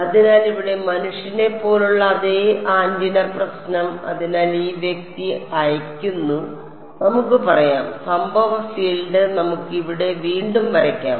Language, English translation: Malayalam, So, the same antenna problem over here as human being over here right; so, this guy is sending out let us say and incident field let us redraw it over here ok